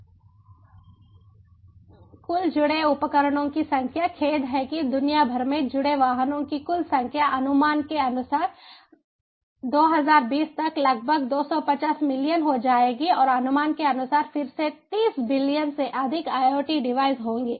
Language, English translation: Hindi, the total number of connected devices, sorry, the total number of connected vehicles worldwide, will be about two fifty million by twenty twenty, as per estimates, and there will be more than thirty billion iot devices, again as per estimate